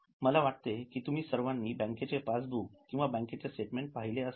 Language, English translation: Marathi, I think you would have also seen passbook or a bank statement